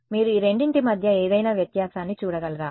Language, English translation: Telugu, Can you visual it any difference between these two